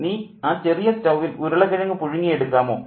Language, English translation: Malayalam, Mina, will you put the potatoes on to boil on the little stove